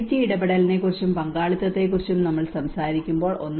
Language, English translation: Malayalam, And when we talk about the community engagement and the participation